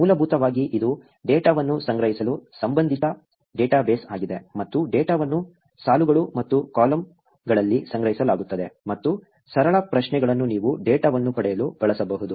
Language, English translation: Kannada, Basically, it is a relational database to store the data, and data is stored in rows and columns, and simple queries, you could use to get the data